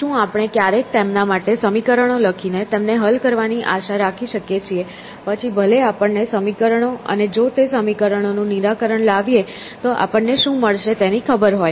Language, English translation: Gujarati, So, can we ever hope to write down the equations for them and solve them even if we know the equations and what would we get if we solve them especially